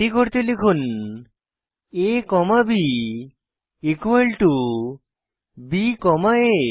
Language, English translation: Bengali, To do so type a comma b equal to b comma a Press Enter